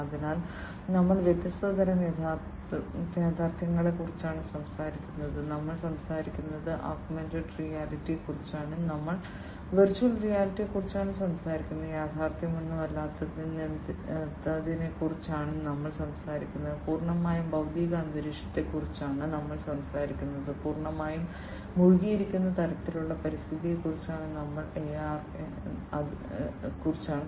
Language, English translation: Malayalam, So, we are talking about different types of reality; we are talking about augmented reality, we are talking about virtual reality, we are talking about you know no reality at all, completely physical environment, we are talking about completely immersed kind of environment